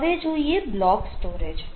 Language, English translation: Gujarati, right, so it is a block storage